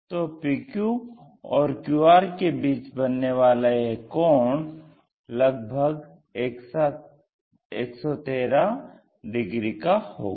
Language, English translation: Hindi, The PQ angle, so angle between PQ and QR which is around 113 degrees